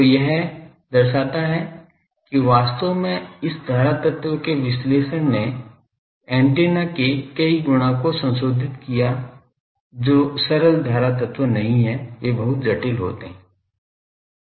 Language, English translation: Hindi, So, this shows that actually the analysis of this current element as reviled many of the properties of the antenna which are not simple current elements, they are very complicated some antennas exotic performances